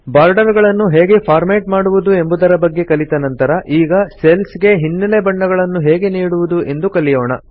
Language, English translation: Kannada, After learning how to format borders, now let us learn how to give background colors to cells